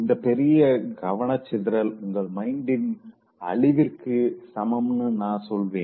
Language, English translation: Tamil, I would say this mass distraction equals mind destruction